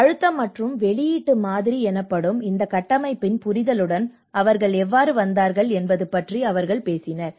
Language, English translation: Tamil, And they talk about they have come with the understanding of this framework is called a pressure and release model